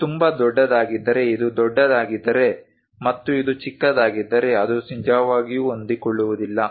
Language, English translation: Kannada, If it is too large if this one is large and if this one is small it cannot really fit into that